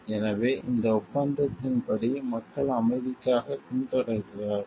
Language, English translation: Tamil, So, according to this agreement is if people are pursuing for peace